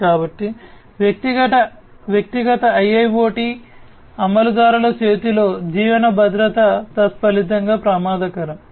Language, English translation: Telugu, So, living security at the hands of the individual IIoT implementers is consequently dangerous